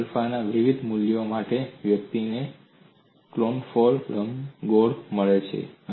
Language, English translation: Gujarati, And for different values of alpha, one gets confocal ellipses